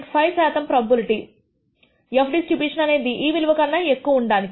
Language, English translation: Telugu, 5 percent probability that this f distribution is less than this value